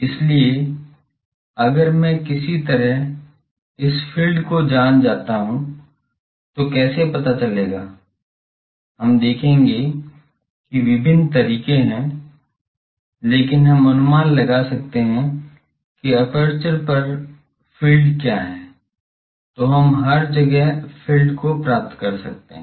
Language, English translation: Hindi, So, if I know somehow this field, how to know that that we will see there are various ways, but we can, if we can guess what is the field on the aperture, then we can find the field everywhere So, it is a field, aperture field based analysis technique now